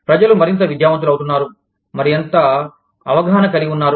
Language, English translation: Telugu, People are becoming, more and more educated, more and more aware